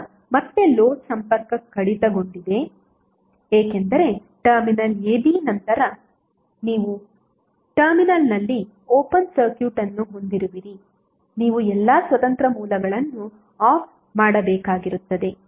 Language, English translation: Kannada, Now again with the load disconnected because the terminal a b then you have open circuit at the terminal a b all independent sources you need to turn off